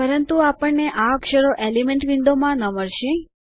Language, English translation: Gujarati, But we wont find these characters in the Elements window